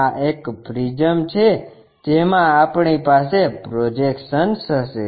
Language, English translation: Gujarati, This is the way a prism we will have projections